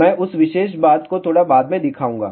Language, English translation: Hindi, I will show that particular thing little later on